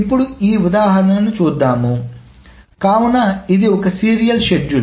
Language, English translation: Telugu, Now coming back to this example, so this is a serial schedule